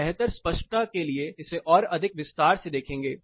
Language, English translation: Hindi, We will look at it little more in detail for better clarity